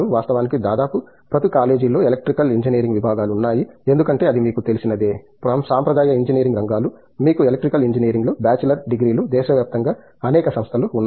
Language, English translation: Telugu, Of course, there is an Electrical Engineering Departments in almost every colleges because it is one of the you know, traditional areas of engineering you have bachelor’s degrees in Electrical Engineering being awarded, many institutions around the country